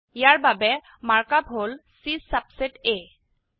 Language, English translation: Assamese, The mark up for this is C subset A